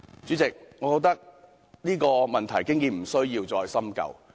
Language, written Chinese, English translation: Cantonese, 主席，我認為這個問題已無須再深究。, President I think we need not dwell on this issue